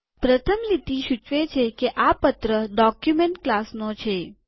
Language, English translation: Gujarati, The first line says that this belongs to letter document class